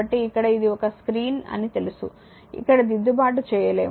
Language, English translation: Telugu, So, here it is a it is you know it is a screen, we cannot make a correction here